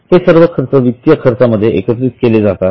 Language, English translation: Marathi, So, all these items are added in finance costs